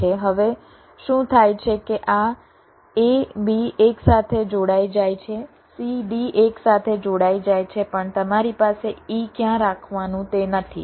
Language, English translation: Gujarati, now what happens is that this a, b gets connected together, c, d gets connected together, but you do not have any where to place e